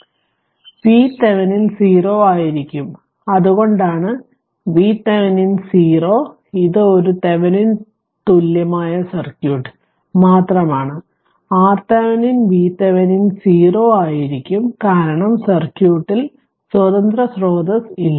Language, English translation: Malayalam, So, V Thevenin will be 0; So, that is why V Thevenin is 0 just this is a Thevenin equivalent circuit just R Thevenin because V Thevenin will be 0, because there is no independent source in the circuit right